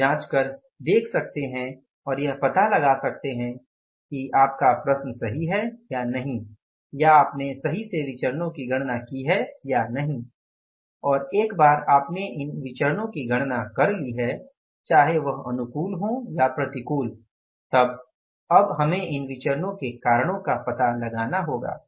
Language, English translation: Hindi, So either way you can check it, you can apply the check and you can find out whether your question is correct or not, whether you have rightly calculated the variances or not, and once you have calculated these variances, whether favorable or unfavorable, now we will have to find out the reasons for these variances